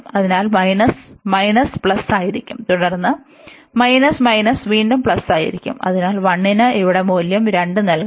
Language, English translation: Malayalam, So, minus minus will be plus, and then minus minus will be plus again, so say 1 we have to value 2 here